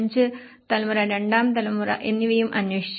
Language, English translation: Malayalam, 5 generation and the second generation also have been investigated